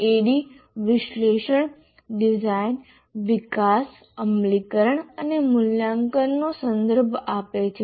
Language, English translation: Gujarati, Adi refers to analysis, design, development, implement and evaluate